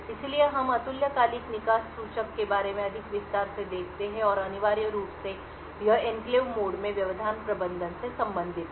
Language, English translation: Hindi, So, we look at more detail about the asynchronous exit pointer and essentially this is related to interrupt management in an enclave mode